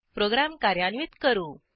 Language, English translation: Marathi, Let us execute our program